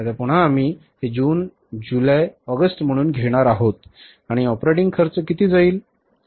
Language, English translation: Marathi, Now again we are going to take these as June, July, August and the operating expenses are going to be how much